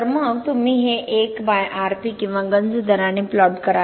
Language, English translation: Marathi, So then you plot this 1 by Rp or corrosion rate